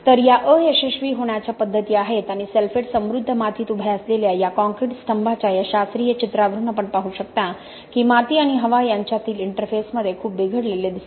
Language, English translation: Marathi, So these are the modes of failure and you can see from this classical picture of this concrete column which is standing in a sulphate rich soil that a lot of deterioration is seen at the interface between the soil and the air, okay